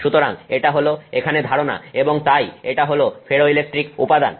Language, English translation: Bengali, So, that is the idea here and so that's a ferroelectric material